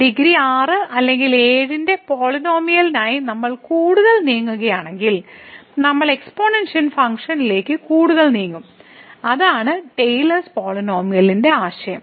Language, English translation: Malayalam, And if we move further for the polynomial of degree 6 or 7, then we will be moving closer to the exponential function and that’s the idea of the Taylor’s polynomial